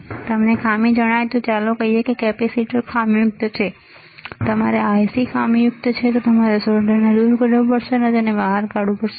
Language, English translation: Gujarati, If you find out the fault let us say capacitor is faulty, your IC is faulty you have to de solder it and you have to take it out